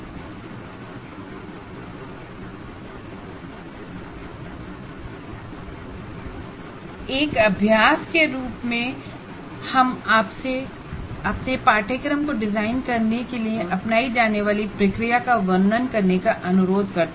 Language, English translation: Hindi, And as an exercise, we request you to describe the process you follow in designing your course, whatever you are following